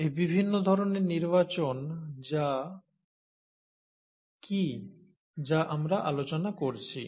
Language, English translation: Bengali, So what are these different kinds of selections that we are talking about